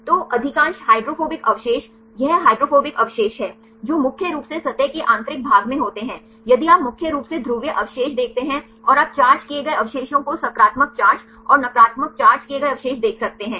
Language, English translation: Hindi, So, most of the hydrophobic residues this is the hydrophobic residues, which are mainly at the interior the core in the surface if you see mainly the polar residues and you can see the charged residues positive charge and the negative charged residues